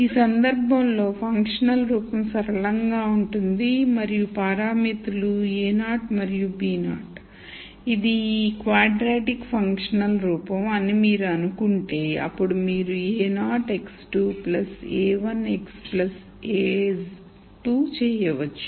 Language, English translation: Telugu, In this case the functional form is linear and the parameters are a naught and b naught if you assume that it is a quadratic functional form then you could do a naught x squared plus a 1 x plus a 2